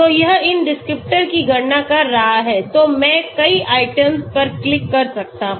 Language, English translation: Hindi, So it is calculating these descriptors so I can click on many items